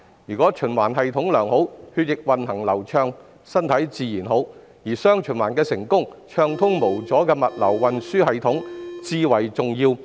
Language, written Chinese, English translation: Cantonese, 如果血液循環系統良好，血液運行便會流暢，身體自然好，而"雙循環"成功與否，暢通無阻的物流運輸至為重要。, If the blood circulation system is good blood flow will be smooth and there will naturally be good health . The key to success of dual circulation lies in the smooth logistics and transport